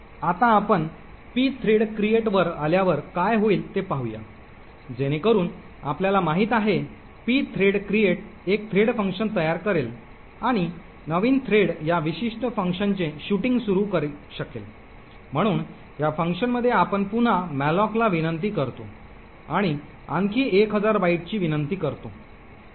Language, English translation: Marathi, Now let us see what would happen when we invoke the pthread create, so as we know pthread create would create a thread function and the new thread could start shooting this particular function, so in this function we invoke malloc again and request another thousand bytes